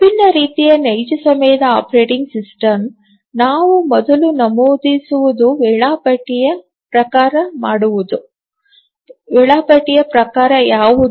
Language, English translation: Kannada, As we will look at different real time operating system, the first thing we will mention is that what is the type of the scheduler